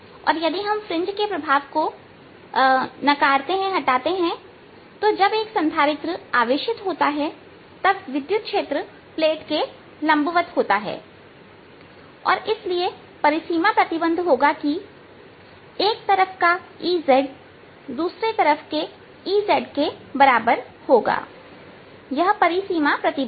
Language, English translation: Hindi, if we ignore the fringe effects, the electric field when the capacitor is charge is going to be perpendicular to the plates and therefore the boundary condition is going to be that e z on side one is going to be e z on side two